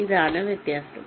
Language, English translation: Malayalam, this is what is the difference